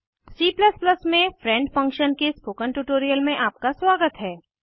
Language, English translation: Hindi, Welcome to the spoken tutorial on friend function in C++